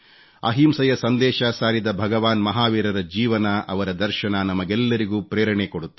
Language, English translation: Kannada, The life and philosophy of Lord Mahavirji, the apostle of nonviolence will inspire us all